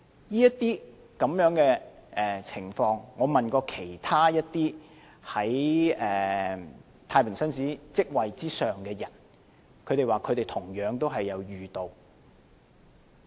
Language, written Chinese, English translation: Cantonese, 就這些情況，我問過其他在太平紳士職位之上的人，他們亦同樣遇到。, I have asked other people with positions higher than JPs and they have also met similar situations